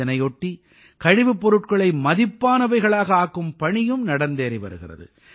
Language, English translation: Tamil, In the same way, efforts of converting Waste to Value are also being attempted